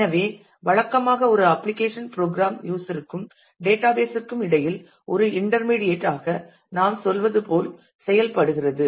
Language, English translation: Tamil, So, usually an application program acts as a as we say as an intermediately between the user and the database